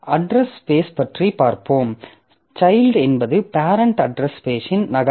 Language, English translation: Tamil, So, address space, so child is a duplicate of the parent address space